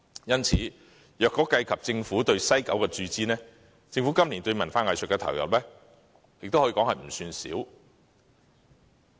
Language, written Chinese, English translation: Cantonese, 因此，若以政府對西九文化區的注資而論，政府今年對文化藝術的投入可說不少。, Hence judging from the amount of injection pledged to WKCD the Government has made quite a considerable amount of allocation for culture and arts this year